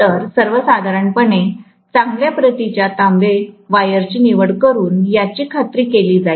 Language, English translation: Marathi, So, this will be ensured by choosing a good quality copper wire normally